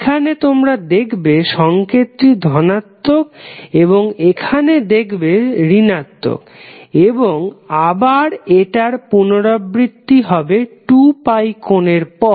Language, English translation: Bengali, So, here you see the signal is positive and here it is negative and again it is repeating after the angle of 2 pi